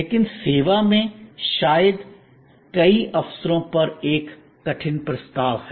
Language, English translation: Hindi, But, in service, that perhaps is a difficult proposition on many occasions